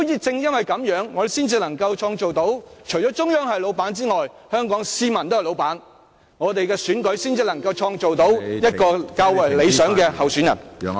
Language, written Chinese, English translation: Cantonese, 正因如此，我們才能達致特首既要向中央有所交代，亦要對香港市民有所交代，我們的選舉......才能促成較為理想的候選人參選。, It is precisely with this requirement can the goal of making the Chief Executive accountable to both the Central Government and the Hong Kong citizens be achieved and that there will be more ideal candidates to run for the election then